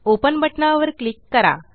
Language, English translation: Marathi, Click on the Open button